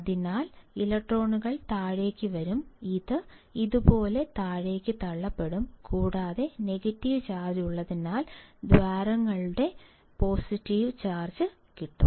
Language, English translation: Malayalam, So, electrons will come down, it will be pushed down like this and because of a negative charge is there holes will have positive charge that we know